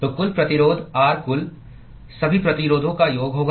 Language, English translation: Hindi, So, the total resistance, R total, will simply be sum of all the resistances